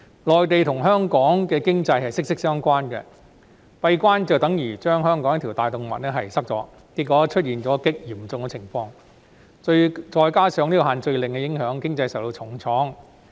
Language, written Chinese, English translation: Cantonese, 內地和香港的經濟息息相關，"閉關"便等於堵塞了香港的一條大動脈，結果出現極嚴重的問題，再加上限聚令的影響，經濟因而受到重創。, The economy of the Mainland and Hong Kong are closely related . Closing the border is tantamount to blocking a major artery of Hong Kong resulting in very serious problems . Coupled with the impact of the no - gathering order the economy has been hit hard